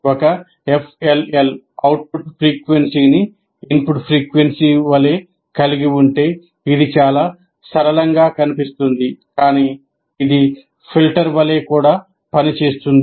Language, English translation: Telugu, If a FLL is, the output frequency should be the same as the input frequency, which looks very simple